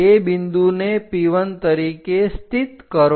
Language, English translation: Gujarati, Locate that point as P1